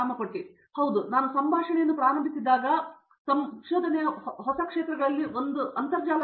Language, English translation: Kannada, Yeah so, as I started just conversation one of the new areas of researches is internet of things